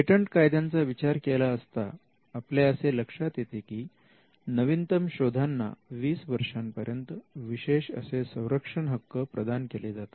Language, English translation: Marathi, If we look at patent law, where inventions can be protected by way of an exclusive right that is granted by the state for a period of 20 years